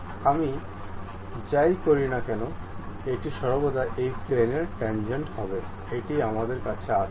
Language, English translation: Bengali, Whatever I do it always be tangent to that surface we will have it